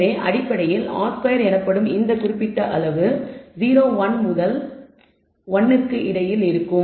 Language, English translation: Tamil, So, essentially this particular quantity called r squared will be between 0 and 1 we can show